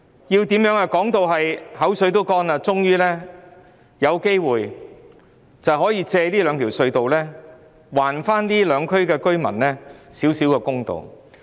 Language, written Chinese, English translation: Cantonese, 我們現在說得唇乾舌燥了，才終於有機會藉這兩條隧道還這兩區居民少許公道。, We have spoken so much that our saliva has virtually dried up and at long last we now have a chance to return a little bit of justice to the residents of these two districts through the two tunnels